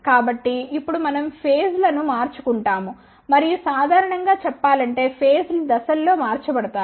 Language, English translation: Telugu, So, now let us say we change the phases and generally speaking the phases are change in steps